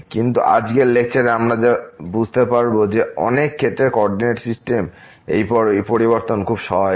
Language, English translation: Bengali, But what we will realize in today’s lecture that this change of coordinate system in many cases is very helpful